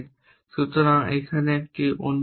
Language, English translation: Bengali, So, here is a another example